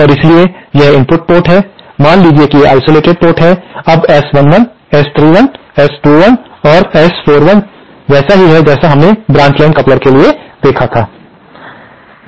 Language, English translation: Hindi, And so, this is the input port, say this is the isolated port, now S 11, S 31, S21 and S 41 are just like we had seen in the case for branch line coupler